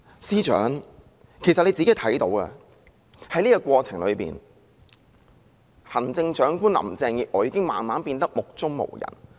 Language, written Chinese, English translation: Cantonese, 司長也看到，在過程中，行政長官林鄭月娥已經慢慢變得目中無人。, The Chief Secretary can also see that and in the course of it Chief Executive Carrie LAM has gradually become egotistic